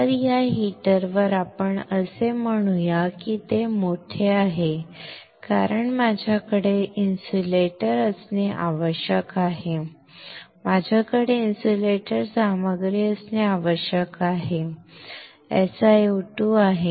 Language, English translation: Marathi, So, on this heater let us say because it is bigger I have to have an insulator right, I have to have an insulating material let us say this is SiO2